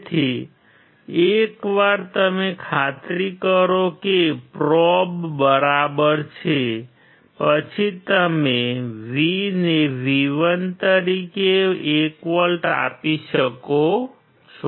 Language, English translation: Gujarati, So, once you make sure that the probes are ok, then you can apply 1 volt to the V as V1